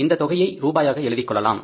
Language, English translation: Tamil, You can write it is the rupees